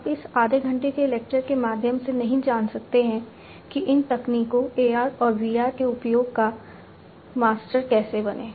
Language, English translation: Hindi, You cannot learn through this half an hour lecture how to become a master of use of these technologies AR and VR